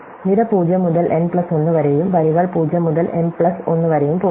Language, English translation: Malayalam, So, column is go from 0 to n plus 1 and rows go from 0 to m plus 1